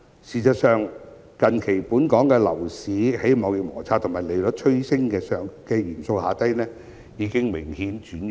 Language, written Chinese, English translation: Cantonese, 事實上，近期本港樓市在貿易摩擦和利率趨升等因素影響下已明顯轉弱。, In fact recently Hong Kongs property market has slackened distinctly due to factors such as the trade conflict and the interest rate hike